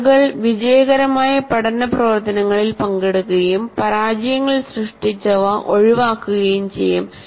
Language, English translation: Malayalam, And see, people will participate in learning activities that have yielded success for them and avoid those that have produced failures